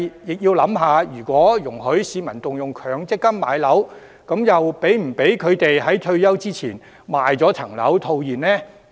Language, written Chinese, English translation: Cantonese, 不過，如果讓市民可以動用強積金買樓，又是否容許他們在退休前賣樓套現呢？, However if members of the public are allowed to use MPF to buy property should they be permitted to sell and encash their property before retirement?